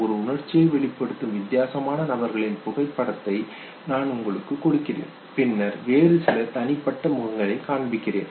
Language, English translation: Tamil, I give you a different individuals photograph expressing one emotion and then I show you some other individual face, okay